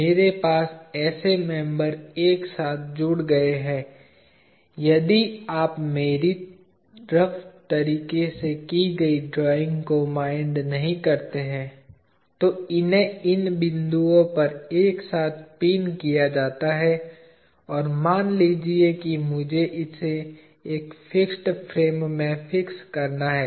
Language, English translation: Hindi, I have such members joined together, if you do not mind my drawing in a rough way, these are pinned together at these points and let say I have to now fix it to a fixed frame